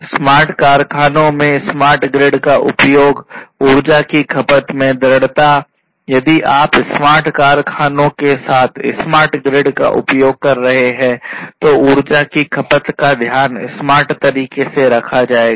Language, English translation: Hindi, Use of smart grid in smart factories, persistence in energy consumption; if you are using smart grid with smart factories, you know, energy consumption will be you know will be taken care of in a smarter way